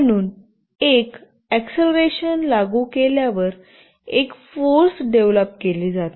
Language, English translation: Marathi, So, as an acceleration is applied, a force is developed